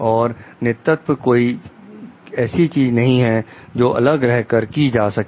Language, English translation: Hindi, And leadership is not something, which happens in isolation